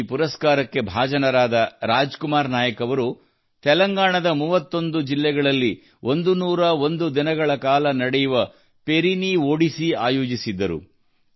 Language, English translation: Kannada, Another winner of the award, Raj Kumar Nayak ji, organized the Perini Odissi, which lasted for 101 days in 31 districts of Telangana